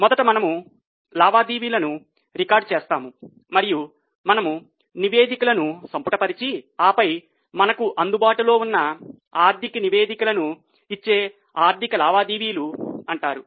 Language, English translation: Telugu, First we record transactions, then we summarize and the reports which are available are known as financial transactions giving us the financial reports